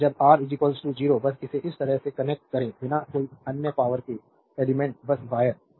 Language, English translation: Hindi, And when R is equal to 0 just connect it like this without no other electric elements simply wire